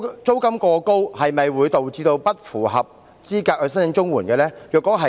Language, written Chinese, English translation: Cantonese, 租金過高會否導致不符合申請綜援資格？, Will a person be ineligible for CSSA because he is paying excessively high rent?